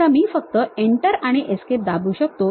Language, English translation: Marathi, Now, I can just put Enter and Escape